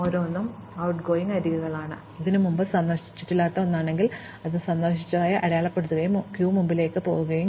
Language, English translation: Malayalam, For each of its outgoing edges, if it is something which has not been visited before, we mark it as visited and we add it to the queue